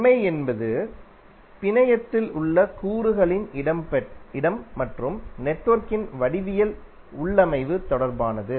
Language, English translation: Tamil, The property is which is relating to the placement of elements in the network and the geometric configuration of the network